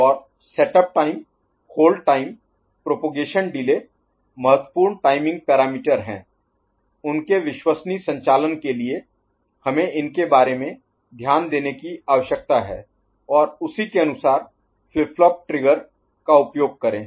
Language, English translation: Hindi, And setup time, hold time, propagation delay are important timing parameters for their reliable operation we need to take note of them, and use the flip flop triggering accordingly